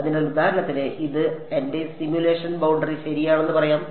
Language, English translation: Malayalam, So, you can for example, say that this is going to be my simulation boundary ok